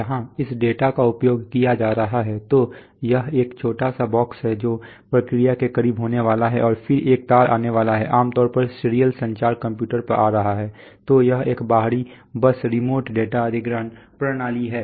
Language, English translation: Hindi, Where this data is going to be used, so this is a small box which is going to be close to the process and then one wire is going to come, generally serial communication coming to the computer, so this is an external bus remote data acquisition system